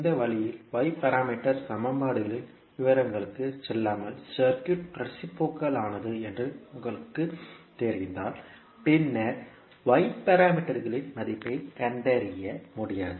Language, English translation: Tamil, So in this way if you know that the circuit is reciprocal without going into the details of y parameter equations and then finding out the value of y parameters